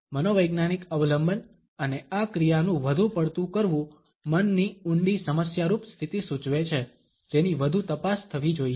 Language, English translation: Gujarati, A psychological dependence and overdoing of this action suggest a deep problematic state of mind which should be further investigated into